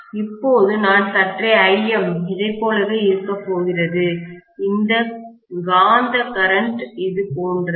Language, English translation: Tamil, Now I am going to have maybe Im somewhat like this, the magnetising current is somewhat like this